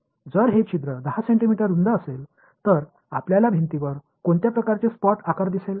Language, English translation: Marathi, If this hole is 10 centimeters wide, how what kind of a spot size will you see on the wall